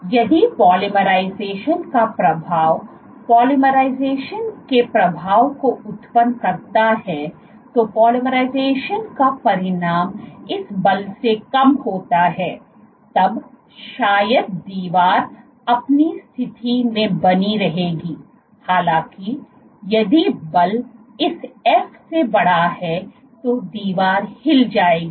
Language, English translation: Hindi, So, if the polymerization the effect of polymerization the force generated as a consequence of polymerization is less than this force then probably the wall will remain fixed in its position; however, if the force is greater than this f then the wall will move